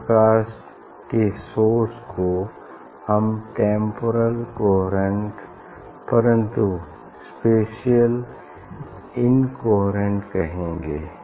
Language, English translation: Hindi, this type of source we can tell this it is a temporal coherence, but spatial incoherence